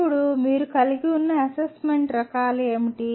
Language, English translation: Telugu, Now, what are the types of assessment that you have